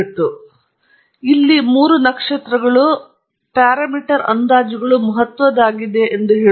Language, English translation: Kannada, And the three stars here are kind of telling you that the parameter estimates are significant